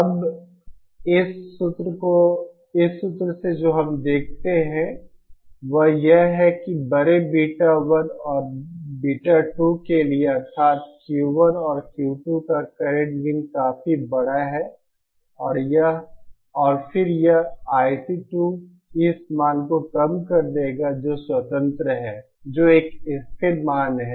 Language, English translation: Hindi, Now from this formula what we see is that for large is beta 1 and beta 2 that is the current gains of Q 1 and Q 2 are quite large, and then this I C 2 will reduce to this value which is independent, which is a constant value